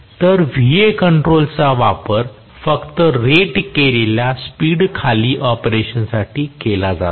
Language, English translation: Marathi, So, Va control is also used only for below rated speed operation